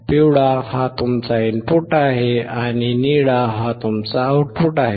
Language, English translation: Marathi, Yellow one is your input and blue one is your output